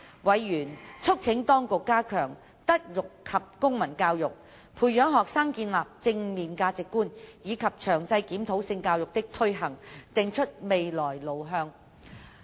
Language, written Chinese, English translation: Cantonese, 委員促請當局加強德育及公民教育，培養學生建立正面價值觀，以及詳細檢討性教育的推行，定出未來路向。, Members urged the Administration to step up MCE to nurture positive values in students and to review the implementation of sex education and map out a way forward